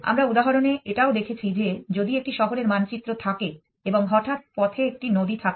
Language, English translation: Bengali, We also saw in the example that if you have if you have a city map and suddenly there is a river on the way